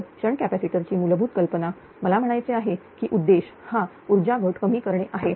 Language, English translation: Marathi, The basic ah basic idea of shunt capacitor is you will if you I mean is that is objective is to reduce the power loss